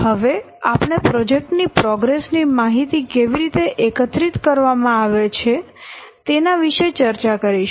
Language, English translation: Gujarati, Now we will discuss how the information about the progress of the project is gathered